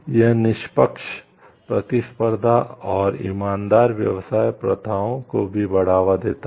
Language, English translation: Hindi, It is also promotes it also promotes fair competition and honest trade practices